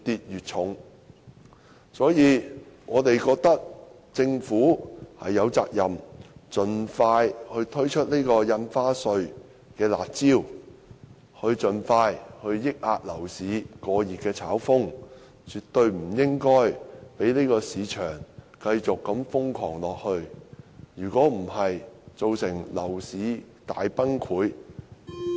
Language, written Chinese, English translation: Cantonese, 因此，我們覺得政府有責任盡快推出印花稅"辣招"，盡快遏抑樓市過熱的炒風，絕對不應該任由市場繼續瘋狂下去。否則，造成樓市大崩潰......, For this reason we hold the view that the Government is duty - bound to expeditiously implement curb measures in the form of stamp duty so as to contain speculative activities in a red - hot property market as soon as possible